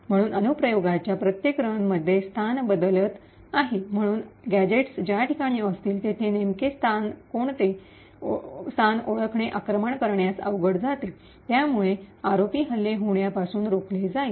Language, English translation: Marathi, So, since this location are changing in every run of the application, it would be difficult for the attacker to identify the exact location where the gadgets are going to be present, thereby preventing the ROP attacks from executing